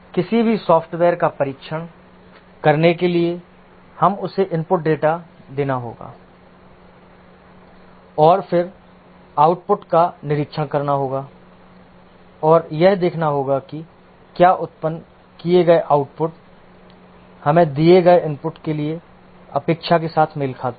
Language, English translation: Hindi, To test any software, we need to give it input data and then observe the output and see if the generated output matches with the expectation we have for the given input that is observe the output and check if the program behaved as expected